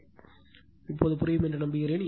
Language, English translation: Tamil, Hope this is understandable to you